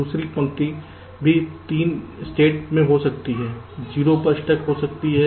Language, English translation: Hindi, third line can also be in three states, good, stuck at zero, stuck at one